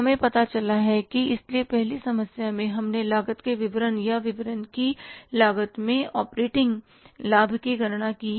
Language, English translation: Hindi, So in the first problem we calculated the operating profit itself in the cost of statement or statement of the cost